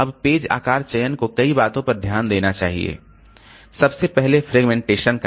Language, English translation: Hindi, Now page size selection must take into consideration many things